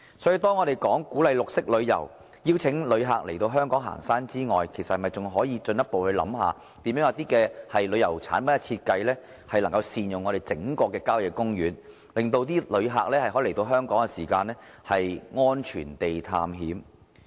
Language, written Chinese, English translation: Cantonese, 所以，除鼓勵綠色旅遊，邀請旅客來港行山之外，我們應進一步考慮設計一些旅遊產品，善用郊野公園，令旅客來香港安全地探險。, For this reason apart from encouraging green tourism and inviting visitors to come to Hong Kong for hiking we should further consider designing some tourism products by making optimal use of country parks and enable visitors to come to Hong Kong for safe adventures